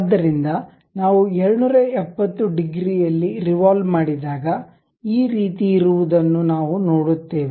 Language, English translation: Kannada, So, when we revolve because it is 270 degrees thing we see this object